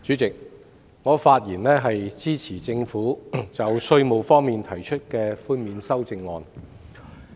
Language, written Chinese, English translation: Cantonese, 主席，我發言支持政府就稅務寬免提出的修正案。, Chairman I speak in support of the Governments proposed amendments in relation to the tax concessions